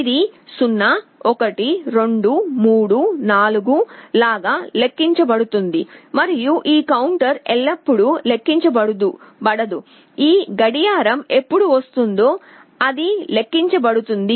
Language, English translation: Telugu, It counts 0, 1, 2, 3, 4 like that and this counter is not counting always, it will be counting only when this clock will be coming